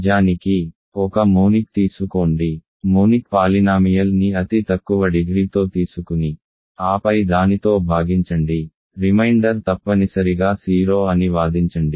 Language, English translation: Telugu, In fact, take take a monic, take the monic polynomial with the least degree and then divide by it, argue that reminder must be 0 ok